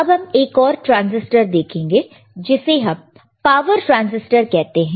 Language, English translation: Hindi, So, let us see one more transistor, and this is the power transistor